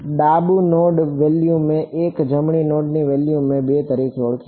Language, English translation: Gujarati, Left node value I called as 1 right node value I called as 2